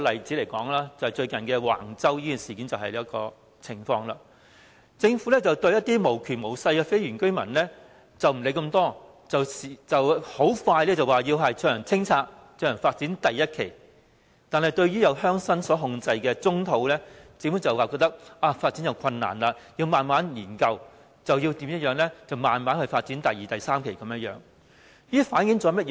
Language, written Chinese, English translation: Cantonese, 以最近的橫洲發展為例，對一些無權無勢的非原居民，政府不予理會，說清拆他們的房屋便清拆，發展第一期，但對鄉紳控制的棕地，政府便說發展有困難，要慢慢研究、慢慢發展第二期和第三期，這反映出甚麼？, It resolutely demolished their houses to launch phase 1 development . As regards the brownfield sites held by rural leaders the Government claimed that there are development difficulties and hence it has to conduct studies and phases 2 and 3 will be launched later . What does that reflect?